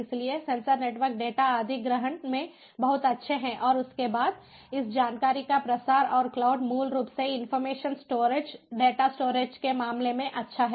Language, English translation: Hindi, so sensor networks are very much good in data acquisition and thereafter dissemination of this information, and cloud, basically, is good in terms of information storage, data storage